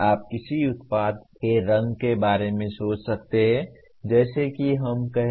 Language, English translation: Hindi, You may consider like the color of a product let us say